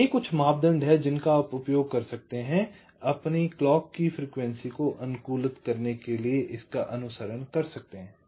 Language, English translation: Hindi, ok, so these are some criteria you can use, you can follow to optimise on the clock frequency